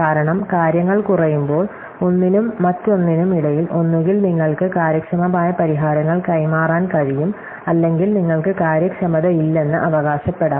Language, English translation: Malayalam, Because, when things are reduced, one between one and other, either you can transport efficient solutions or you can claim inefficients